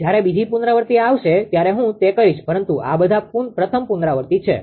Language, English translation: Gujarati, When second iteration will come I will do that but these are all first iteration right